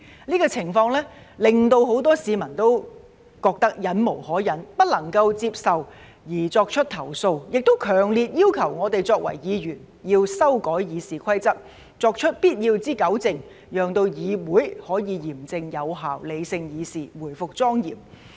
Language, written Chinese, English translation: Cantonese, 這種情況令很多市民都覺得忍無可忍、不能夠接受而作出投訴，也強烈要求我們作為議員要修改《議事規則》，作出必要的糾正，讓議會可以嚴正有效、理性議事、回復莊嚴。, This situation was so intolerable and unacceptable that many people lodged complaints . They also strongly demanded that we as Members amend RoP by making necessary rectifications such that the Council can conduct its business in a serious effective and rational manner and restore its solemnity